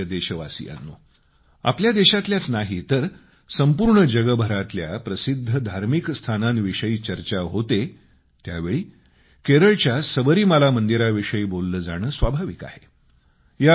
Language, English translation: Marathi, My dear countrymen, whenever there is a reference to famous religious places, not only of India but of the whole world, it is very natural to mention about the Sabrimala temple of Kerala